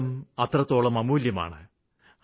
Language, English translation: Malayalam, Life is very precious